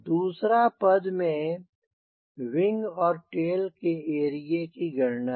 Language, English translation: Hindi, now second step involves calculation of wing and tail area